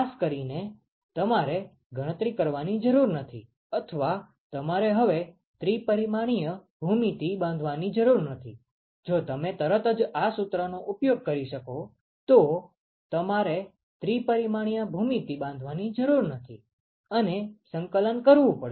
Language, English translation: Gujarati, Particularly because you do not have to calculate or you do not have to construct the three dimensional geometry anymore, if you are able to use this formula straightaway, you do not have to construct the three dimensional geometry and do the integration